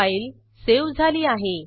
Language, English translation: Marathi, So the file is saved now